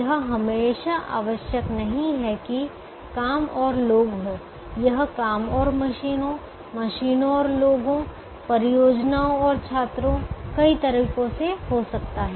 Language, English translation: Hindi, it need not always be jobs and people, it can be jobs and machines, machines and people, projects and students, many ways, but an equal number of two different things